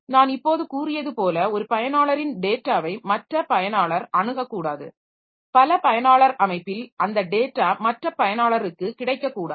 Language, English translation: Tamil, As I have just said that one user's data should not be accessible by other user in a multi user system it should not be available by the other user